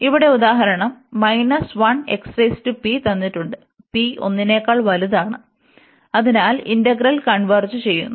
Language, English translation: Malayalam, And here we have seen in this example 1 that here given x power p and p is greater than 1, so that integral converges